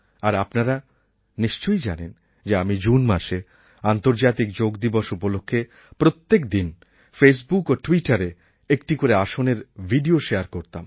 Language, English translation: Bengali, And you probably know that, during the month of June, in view of the International Yoga Day, I used to share a video everyday of one particular asana of Yoga through Twitter and Face Book